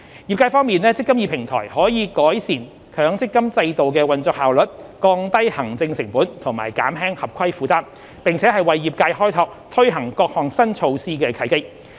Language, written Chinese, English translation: Cantonese, 業界方面，"積金易"平台可改善強積金制度的運作效率、降低行政成本和減輕合規負擔，並為業界開拓推行各項新措施的契機。, Regarding the industry the eMPF Platform can improve the operational efficiency of the MPF System lower the administrative costs reduce the regulatory burden and open up possibilities of new initiatives for the industry